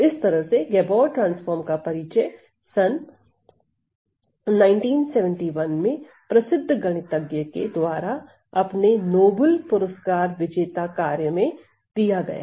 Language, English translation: Hindi, So, by the way this Gabor transform was introduced by a famous mathematician in 1971 in his Nobel Prize winning work